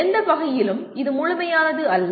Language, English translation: Tamil, By no means this is exhaustive